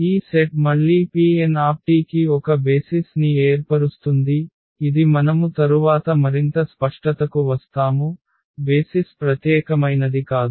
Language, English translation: Telugu, So therefore, this set forms a basis for P n t again which we will also come later on to more clarification, the basis are not unique